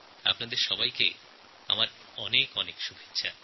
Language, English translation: Bengali, My greetings to all of you for the same